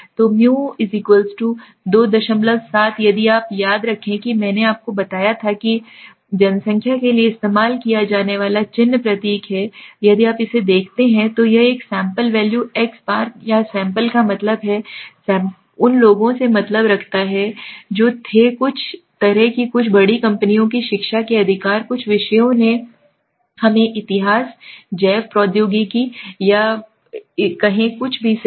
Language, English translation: Hindi, 7 if you remember I told you is the sign symbol used for population now if you look at this is the sample values right the x bar or the sample means sample mean means to the people who had some kind some majors education majors right some subjects let us say history bio technology or anything right